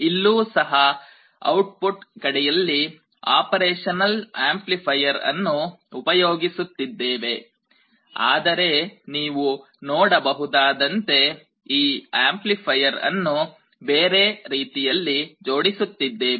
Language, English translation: Kannada, And in the output again, we are using an operational amplifier circuit, but we are connecting this op amp in a different way as you can see